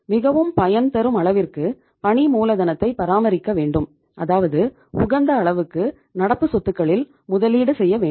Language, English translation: Tamil, Optimum level of the working capital is maintained which means optimum investment in the current assets